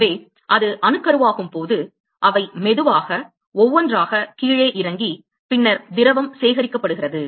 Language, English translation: Tamil, So, when it gets nucleated they slowly drop down one by one and then the liquid is collected